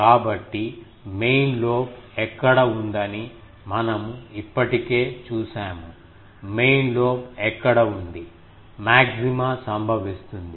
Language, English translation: Telugu, So, where is the main lobe, we have already seen; where is the main lobe, maxima occurs